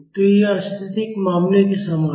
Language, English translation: Hindi, So, this is similar to the static case